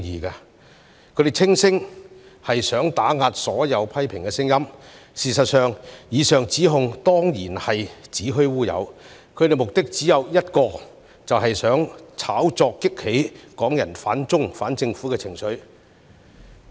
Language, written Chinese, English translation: Cantonese, 他們聲稱此舉是想打壓所有批評的聲音，事實上，以上指控當然是子虛烏有，他們的目的只有一個，就是想透過炒作激起港人反中、反政府的情緒。, The decision was described as an attempt to suppress all criticisms but in fact such accusation is simply fictitious and serves the only purpose of provoking Hong Kong peoples anti - China and anti - government sentiments through sensationalizing the matter